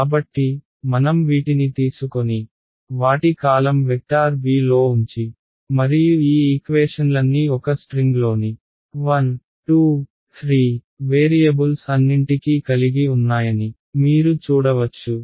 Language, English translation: Telugu, So, I can take all of these guys and put them into a column vector b right and you can see that all of these equations have the variables a 1, a 2, a 3 all the way up to a n in one string right